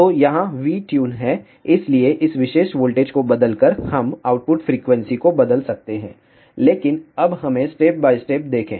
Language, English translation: Hindi, So, here is the V Tune, so by changing this particular voltage, we can change the output frequency, but now let us see step by step